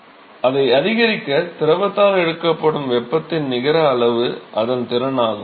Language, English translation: Tamil, So the net amount of heat that is taken up by the fluid to increase it is capacity